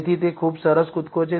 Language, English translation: Gujarati, So, that is also pretty good jump